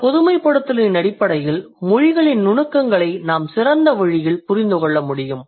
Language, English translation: Tamil, So, on the basis of this generalization, we can we can actually understand the nuances of languages in a better way